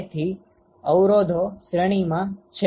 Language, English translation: Gujarati, So, the resistances are in series